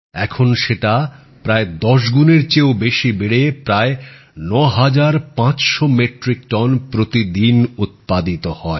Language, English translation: Bengali, Now, it has expanded to generating more than 10 times the normal output and producing around 9500 Metric Tonnes per day